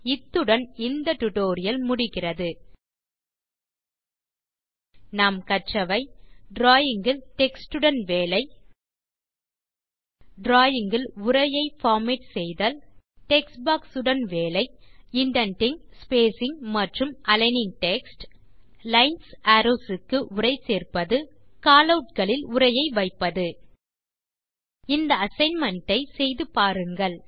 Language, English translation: Tamil, In this tutorial, you have learnt how to: Work with text in drawings Format text in drawings Work with text boxes Indenting, spacing and aligning text Adding text to Lines and Arrows Placing text within Callouts Try out this Assignment by yourself